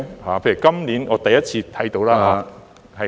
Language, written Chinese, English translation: Cantonese, 例如今年我第一次看到......, For example this year I saw for the first time